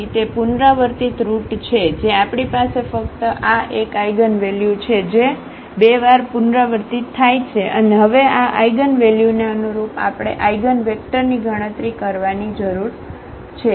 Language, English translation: Gujarati, So, it is a repeated root the case of the repeated root we have only this one eigenvalue which is repeated 2 times and now corresponding to this eigenvalue we need to compute the eigenvector